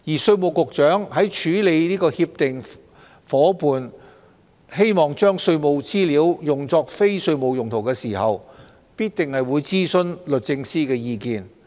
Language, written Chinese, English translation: Cantonese, 稅務局局長在處理協定夥伴將稅務資料用作非稅務用途的請求時，必定會諮詢律政司的意見。, The Commissioner of Inland Revenue in handling CDTA partners requests for the use of tax information for non - tax related purposes will definitely consult the Department of Justice